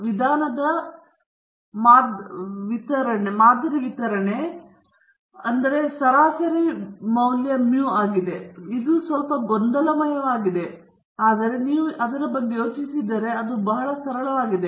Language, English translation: Kannada, The sampling distribution of the means, so the mean of the means is mu; slightly confusing, but if you think about it, it is pretty simple after all